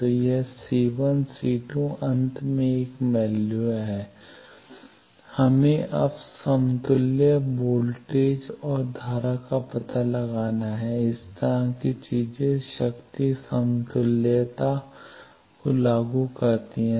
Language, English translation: Hindi, So, this c1 c2 is a value finally, we have to find now equivalent voltage and currents are like this now enforce the power equivalence